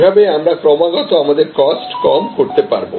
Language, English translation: Bengali, So, that we are constantly able to reduce our cost